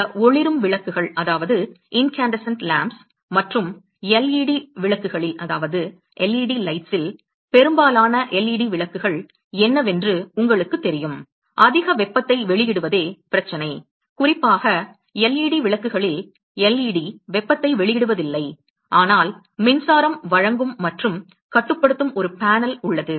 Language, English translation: Tamil, You know what LEd lights most of this incandescent lamps and LED lights the problem is the emits the lot of heat, particular in LED lights the LED itself does not emit heat, but there is a an a panel which supplies electricity, etcetera and controls the glowing of LED, so that emits the lot of heat